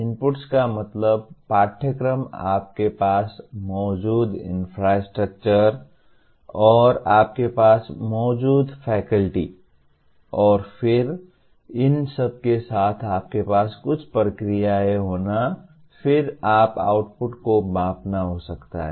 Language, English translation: Hindi, Inputs could mean the curriculum, the kind of infrastructure that you have, and the faculty that you have ,and then with all that you have certain processes going on, and then you measure the outputs